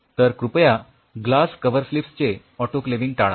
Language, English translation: Marathi, So, please avoid autoclaving the glass cover slips